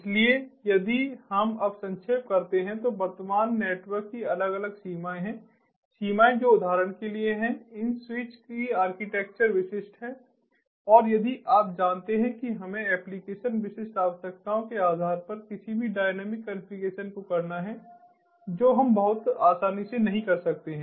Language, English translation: Hindi, so if we now summarize, the present network has different limitations, limitations which are, for example, the architecture of these switches are vendor specific and correspondingly, you know, if we have to do any dynamic configuration based on the application specific requirements, that we cannot do very easily